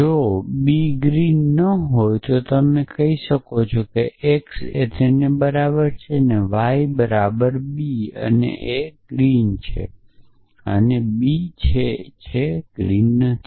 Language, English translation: Gujarati, If b is not green then you can say x is equal to a and y is equal to b and a is green and b is not green